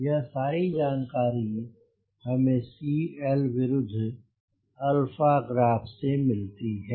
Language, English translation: Hindi, these are the information which we get from cl versus alpha graph